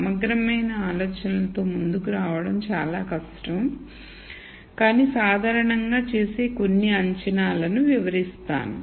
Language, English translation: Telugu, To come up with a comprehensive set of assumptions is difficult, but let me explain some of the assumptions that are generally made